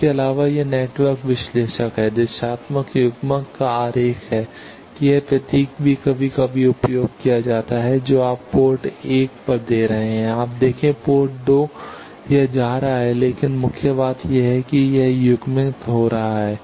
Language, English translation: Hindi, Also, this is the diagram of network analyzer, directional coupler that this symbol also is sometimes used that you are giving at port 1 you see port 2 it is going, but main thing is it is getting coupled